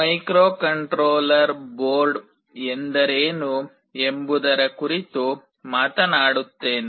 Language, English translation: Kannada, Let me talk about what is a microcontroller board